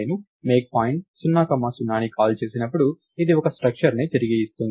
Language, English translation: Telugu, When I call MakePoint of 0 comma 0, this is going to return a structure